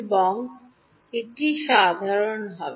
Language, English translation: Bengali, And there will be one common